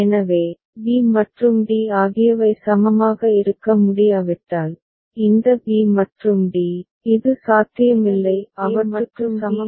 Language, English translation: Tamil, So, if b and d cannot be equivalent so, this b and d, this is not possible; equivalence of them is not possible